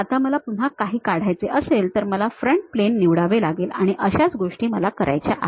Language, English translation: Marathi, Now, anything if I want to really draw again I have to pick the Front Plane and so on things I have to do